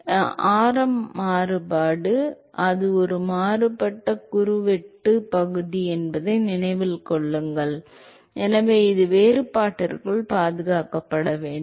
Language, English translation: Tamil, So, the variation of radius, remember that it is a varying cross sectional area, so it has to be preserved inside the differential